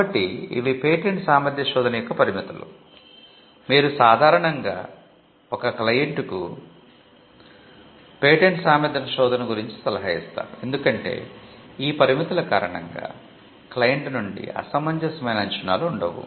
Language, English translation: Telugu, So, these are the limitations of a patentability search, you would normally advise the client about the patentability search, because of these limitations so that there are no unreasonable expectations from the client